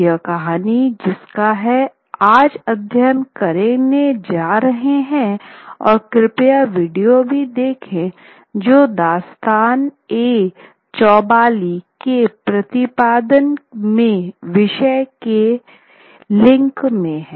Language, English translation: Hindi, The particular story that we are going to study today and please watch the video which would be there in the links of a particular rendering of Dastane Chowbuli